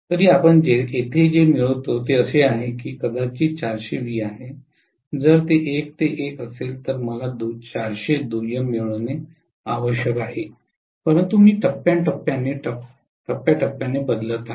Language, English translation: Marathi, Still what we get here is if we say that this is probably 400 volts, if it is 1 is to 1 I should have gotten 400 itself of secondary, but I am looking at phase to phase transformation